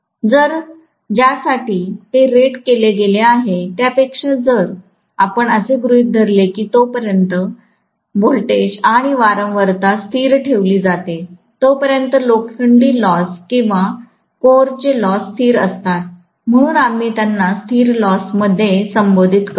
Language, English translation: Marathi, So, if we assume that as long as the voltage and frequency are kept as constant, the iron losses or core losses are constant, so we call them as constant losses